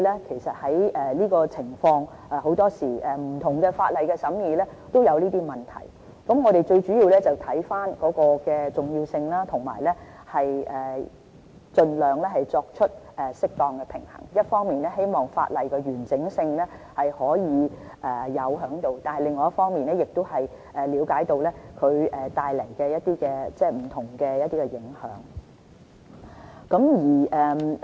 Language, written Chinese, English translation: Cantonese, 其實這種情況，往往在審議不同法例時都會出現，我們最主要視乎問題的重要性，盡量作出適當平衡：一方面，希望保持法例的完整性，另一方面，亦了解到它們帶來的不同影響。, In fact similar situations usually happen when we scrutinize other laws . We mainly handle the issues depending on the severity of the problems and try to find a balance with a view to maintaining the integrity of the law on the one hand while recognizing the effects produced by the provisions on the other